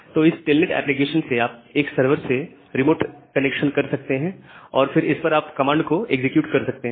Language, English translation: Hindi, So, with this telnet application you can make a remote server remote connection to a server and then execute the commands on top of that